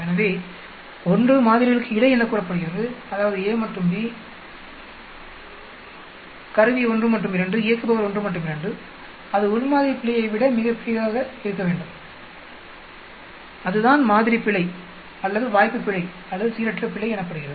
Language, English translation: Tamil, So, 1 is called between samples that is a and b instrument, 1 instrument 2, operator 1 and 2, that should be much larger than within sample error that is called the sampling error or chance error or random error